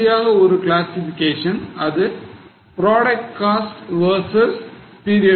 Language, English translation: Tamil, Now, the last classification is product cost versus period cost